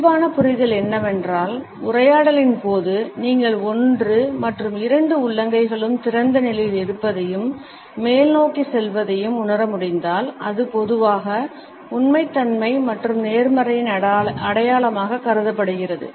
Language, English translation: Tamil, The normal understanding is that if during the dialogue, you are able to perceive one palm as being open as well as both palms as being open and tending towards upward, it is normally considered to be a sign of truthfulness and honesty